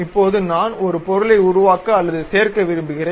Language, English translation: Tamil, Now, I would like to make or perhaps add a material